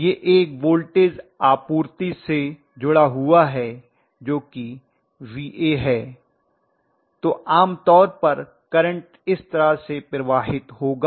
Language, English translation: Hindi, If it is actually connected to a voltage supply which is the VA like this right, normally the current is going to flow like this right